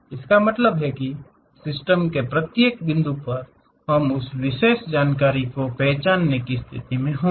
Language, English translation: Hindi, That means, at each and every point of the system, we will be in a position to really identify that particular information